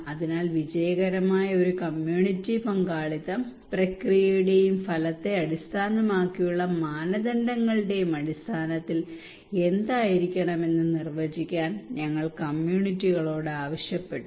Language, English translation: Malayalam, So we asked the community to define what a successful community participation should have in terms of process and outcome based criteria